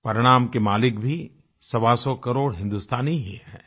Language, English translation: Hindi, The outcome also belongs to 125 crore Indians